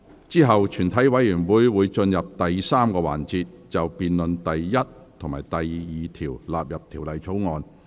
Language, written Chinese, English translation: Cantonese, 之後全體委員會會進入第三個環節，辯論第1及2條納入《條例草案》。, Committee will then move on to the third session to debate the question that clauses 1 and 2 stand part of the Bill